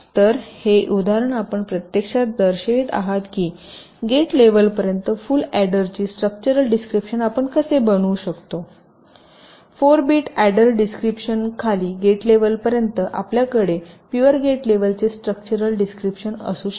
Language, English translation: Marathi, these example actually shows you that how we can create a structural description of a full adder down to the gate level from the behavior four bit, add a description down to the gate level, you can have a pure gate levels structural description